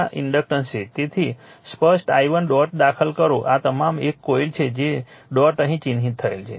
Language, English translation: Gujarati, So, clear i1 entering the dot all this is one coil is dot dot is marked here